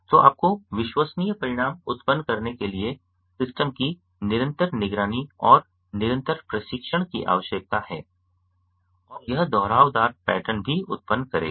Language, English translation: Hindi, so you need continuous monitoring and continuous training of the system to generate reliable results and this will also generate repetitive pattern